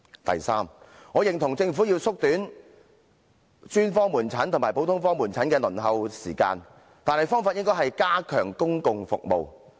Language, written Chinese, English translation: Cantonese, 第三，我認同政府要縮短專科門診和普通科門診的輪候時間，但方法應是加強公共服務。, Third I agree that the Government should shorten the waiting time for specialist outpatient services and general outpatient services yet it should be achieved by the enhancement of public services